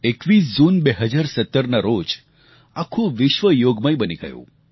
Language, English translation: Gujarati, 21st June 2017 Yoga has permeated the entire world